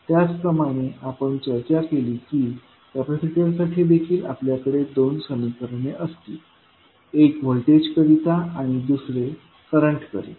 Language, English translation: Marathi, Similarly for capacitor also we discussed that we will have the two equations one for voltage and another for current